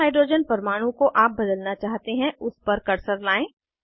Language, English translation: Hindi, Bring the cursor to the Hydrogen atom you want to substitute